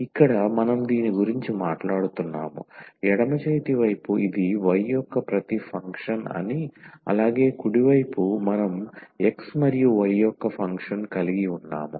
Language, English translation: Telugu, Here we are talking about this is left hand side is telling that this is everything function of y and the right hand side we are we are having the function of x and y